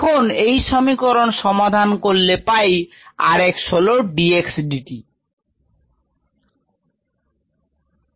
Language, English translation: Bengali, so if we equate this and this, r x is nothing but d x d t